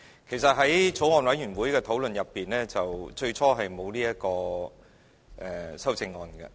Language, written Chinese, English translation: Cantonese, 其實在法案委員會的討論中，最初沒有討論這項修正案。, Initially during the deliberations of the Bill the Bills Committee has not discussed this amendment